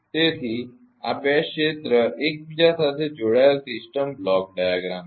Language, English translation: Gujarati, So, this a two area interconnected system block diagram